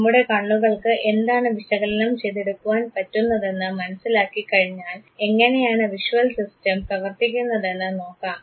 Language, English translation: Malayalam, Let us now understand that fine once we know that this is what our eyes can process, how does the visual system works